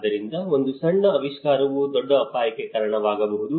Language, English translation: Kannada, So, a small invention can lead to a bigger risk